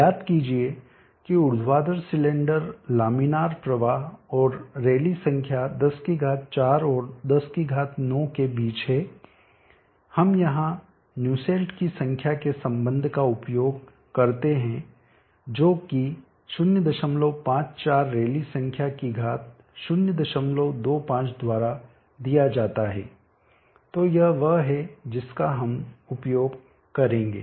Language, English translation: Hindi, Recall that for the vertical cylinder laminar flow and the rally number is between 104 and 109 we use the Nussle’s number relationship here which is given that 0